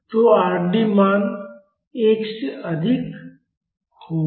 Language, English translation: Hindi, So, the Rd value will be more than 1